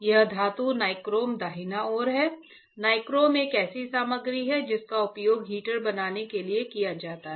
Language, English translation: Hindi, This metal is your nichrome right; nichrome is a material that used for fabricating the heater